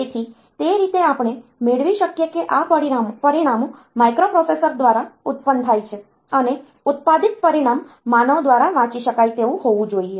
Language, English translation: Gujarati, So, that way we can have these results are produced by the microprocessor and the produced result should be readable by the human being